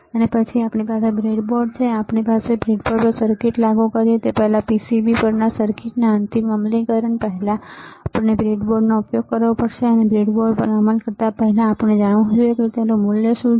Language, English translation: Gujarati, And then we have a breadboard, and before we implement a circuit on the breadboard right, before the final implementation of the circuit on the PCB we have to use the breadboard, and before implementing on the breadboard, we should know what is the value of each component